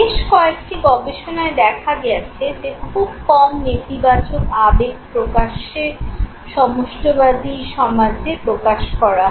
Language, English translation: Bengali, Several studies have demonstrated that very little know, negative emotions are publicly expressed in collectivist societies okay